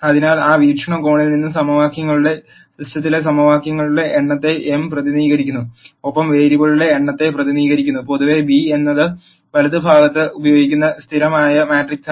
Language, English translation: Malayalam, So, from that viewpoint, m represents the number of equations in the system of equations and n represents the number of variables, and in general b is the constant matrix that is used on the right hand side